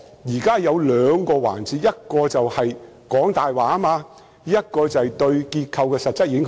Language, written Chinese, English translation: Cantonese, 有兩個環節，一是說謊，另一是對結構的實質影響。, Two issues are involved telling lies and substantial impact on the structures